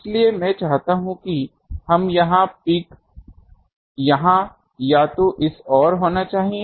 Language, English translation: Hindi, So, I want let us say, here it should peak either here or this side